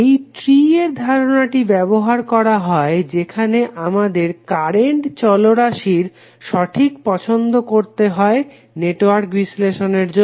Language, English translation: Bengali, The concept of tree is used were we have to carry out the proper choice of current variable for the analysis of the network